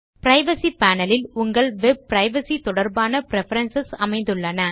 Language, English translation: Tamil, The Privacy panel contains preferences related to your web privacy